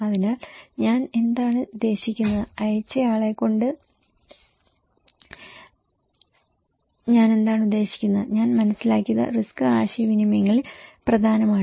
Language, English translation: Malayalam, So, what I mean, what I mean by the sender and what I understand is important in risk communications